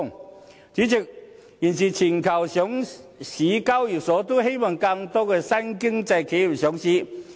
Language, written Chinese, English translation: Cantonese, 代理主席，現時全球上市交易所都希望吸引更多新經濟企業上市。, Deputy President stock exchanges around the globe all want to induce more enterprises of the new economy to turn to them for listing